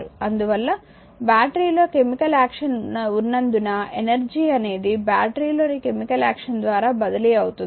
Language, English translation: Telugu, Therefore, the energy is transfer by the chemical action in the battery because battery has a chemical action